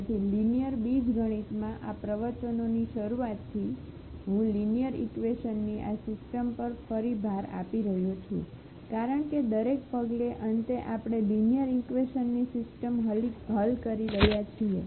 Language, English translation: Gujarati, So, from the beginning of this lectures in linear algebra I am emphasizing again and again on this system of linear equations because at each and every step finally, we are solving the system of linear equations